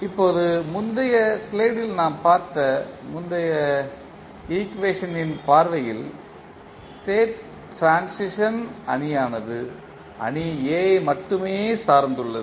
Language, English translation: Tamil, Now, view of previous equation which we have just see in the previous slide the state transition matrix is dependent only upon the matrix A